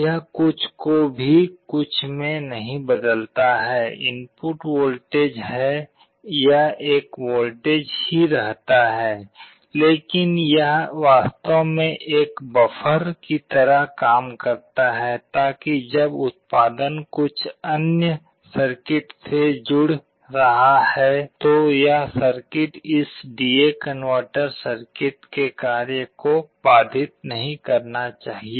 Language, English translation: Hindi, It does not convert anything to anything, input is voltage it remains a voltage, but it actually acts like a buffer, so that when the output is connecting to some other circuit that circuit should not disturb the operation of this D/A converter circuit